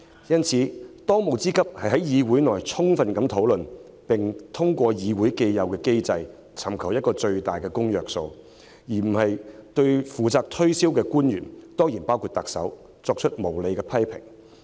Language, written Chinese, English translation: Cantonese, 因此，當務之急應是在議會內充分討論修訂，並通過議會既有機制尋求最大公約數，而非對負責推銷的官員——當然包括特首——作出無理批評。, Therefore it is imperative to thoroughly discuss the amendment in the Council and seek the greatest common factor through the established mechanism of the Council instead of levelling unreasonable criticisms at officials in charge of promotion certainly including the Chief Executive